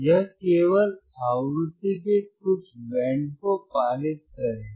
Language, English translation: Hindi, So, iIt will only pass certain band of frequency